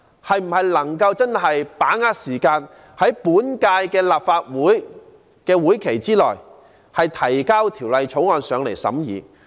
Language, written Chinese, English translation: Cantonese, 政府可否把握時間，在本屆立法會任期內提交法案讓立法會審議？, Can the Government not losing any time submit a bill to the Legislative Council for scrutiny during this term of the Council?